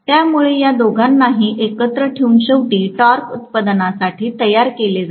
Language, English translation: Marathi, So both of them put together ultimately makes up for the torque production